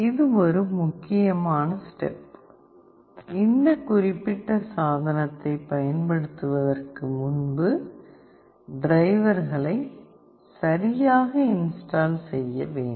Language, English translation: Tamil, This is an important step; prior to using this particular device that you need to install the drivers properly